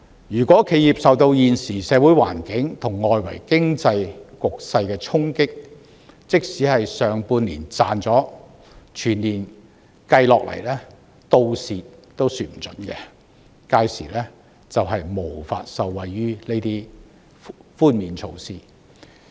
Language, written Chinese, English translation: Cantonese, 如果企業受到現時社會環境和外圍經濟局勢的衝擊，即使上半年有賺了，全年累計下，倒過來虧蝕也說不定，屆時將無法受惠於這些寬免措施。, Hard hit by the present social situation and the external economic environment enterprises which manage to make a profit in the first half of the year may end up in deficit at the end of the year and they will not benefit from these tax reduction measures